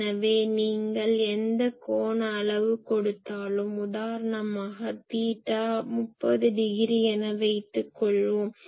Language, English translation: Tamil, So, it says that you give any angle , so at suppose 30 degree theta, theta is 30 degree